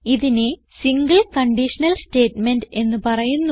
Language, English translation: Malayalam, It is called a single conditional statement